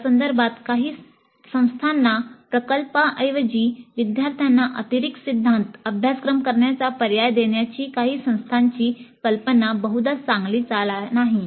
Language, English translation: Marathi, In this context, the idea of some of the institutes to give an option to the students to do additional theory courses in place of a project probably is not a very good move